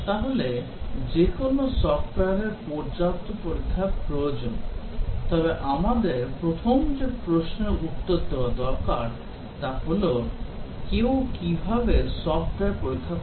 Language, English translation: Bengali, So, any software needs adequate testing, but the first question we need to answer is that, how does somebody tests a software